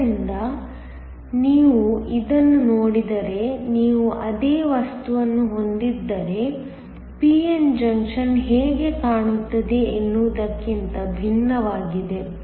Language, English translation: Kannada, So, if you look at this, this is different from how a p n junction would look, if you have the same material